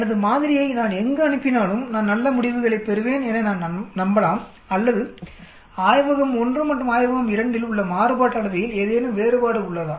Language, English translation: Tamil, So that I can be confident that irrespective of where I send my sample, I will get good results or is there a difference in the variance in lab 1 and lab 2